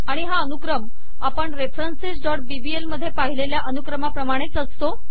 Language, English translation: Marathi, And this order is the same order, that we saw in references.bbl